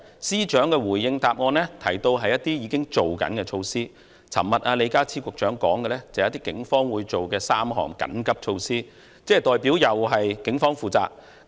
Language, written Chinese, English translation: Cantonese, 司長回應時提到的是一些已經推行的措施，李家超局長昨天說的是警方會推出的3項緊急措施，這代表又是警方負責。, The Chief Secretary has mentioned in his reply some measures already introduced . Secretary John LEE said yesterday that the Police would introduce three emergency measures meaning that the matter was again placed under the charge of the Police